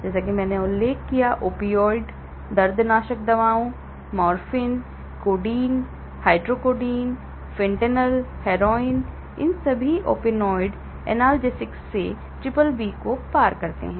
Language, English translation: Hindi, Like I mentioned, opioid analgesics; morphine, codeine, hydrocodone, fentanyl, heroin all these opioid analgesics they cross BBB